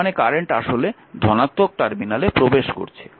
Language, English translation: Bengali, So, it is it is entering into the positive terminal